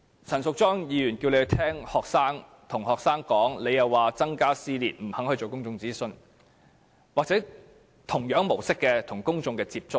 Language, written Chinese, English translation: Cantonese, 陳淑莊議員叫政府聆聽學生的意見，它卻說會增加撕裂，不肯進行公眾諮詢或以同樣的模式與公眾接觸。, Ms Tanya CHAN asked the Government to listen to the students views but it said such an act would intensify the division in society and refused to conduct any public consultations or make contact with the public in similar ways